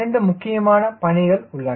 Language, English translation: Tamil, so what are the two tasks required